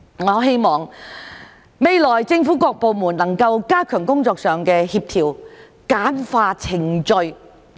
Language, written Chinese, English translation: Cantonese, 我希望未來政府各部門能夠加強工作上的協調，簡化程序。, I hope that various government departments will step up coordination of their work and streamline the procedures